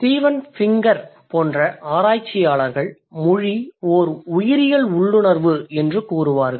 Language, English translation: Tamil, Researchers like Stephen Pinker would say language is a biological instinct